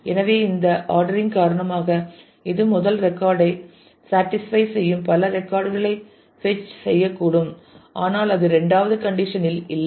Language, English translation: Tamil, So, because of this ordering this will may fetch many records that satisfy the first one, but not the second condition